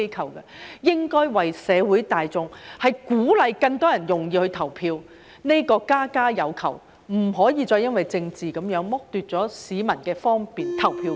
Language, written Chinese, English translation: Cantonese, 它們應該顧及社會大眾，鼓勵更多人容易投票，這是家家有求，不可再因政治而剝奪市民的方便投票權。, They should have regard to the public and encourage more people to vote by making it easier . This will meet the needs of everyone . We should no longer deprive people of their right to vote conveniently because of politics